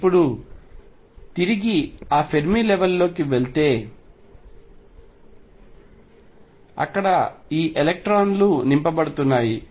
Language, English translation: Telugu, Going back to that Fermi level being filled now these electrons being filled